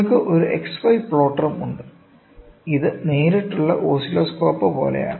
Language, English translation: Malayalam, You also have an XY plotter; it is the same like the direct, right oscilloscope